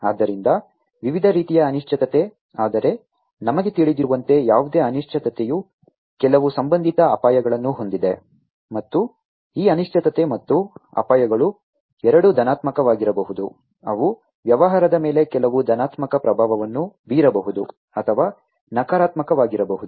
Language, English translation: Kannada, So, uncertainty of different types, but any uncertainty as we know also has some associated risks, and this uncertainty and the risks can have either these can be either positive, they can have some positive impact on the business or it can be negative